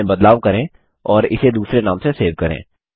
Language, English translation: Hindi, Make changes to it, and save it in a different name